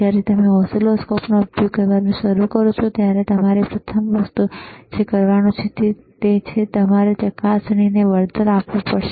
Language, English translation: Gujarati, When you start using the oscilloscope, first thing that you have to do is, you have to compensate the probe;